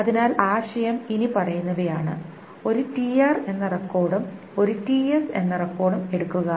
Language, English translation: Malayalam, So the idea is the following is that take a record TR and take a record TS